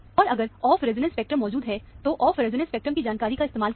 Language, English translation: Hindi, And, if off resonance spectrum is available, make use of the information of the off resonance spectrum